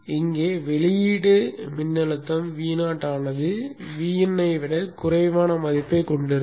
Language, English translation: Tamil, Here the output voltage V0 will have a value less than that of VIN